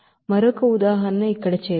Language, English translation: Telugu, And another example let us do here